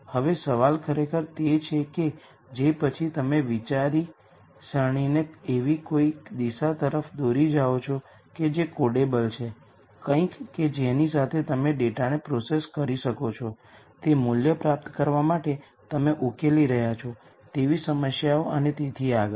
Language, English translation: Gujarati, Now the question really is to then drive your thought process towards something that is codable, something that you can process the data with to derive value to do any problem that you are solving and so on